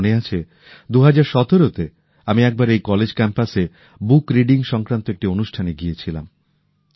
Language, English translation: Bengali, I remember that in 2017, I attended a programme centred on book reading on the campus of this college